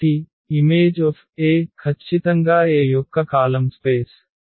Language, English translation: Telugu, So, thus the image A is precisely the column space of A